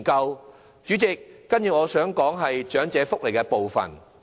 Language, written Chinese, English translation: Cantonese, 代理主席，接着我想談談長者福利的部分。, Deputy President I would then like to express my views on elderly welfare